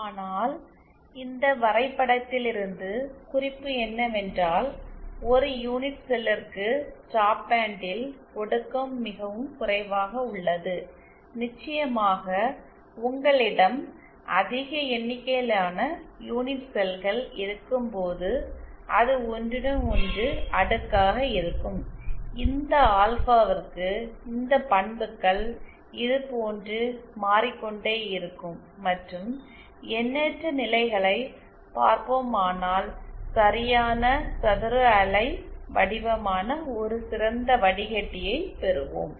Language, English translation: Tamil, But, note from this graph itself the problem is, for a single unit cell the attenuation is quite low in the stop band, of course when you have large number of such unit cells then it cascades with each other, then this alpha, this characteristics will go on changing like this and see for a infinite number of stages we will get an ideal filter which is perfect square wave form